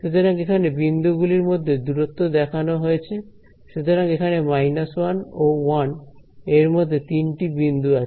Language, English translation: Bengali, So, here the spacing between the points so, it is 3 points between minus 1 to 1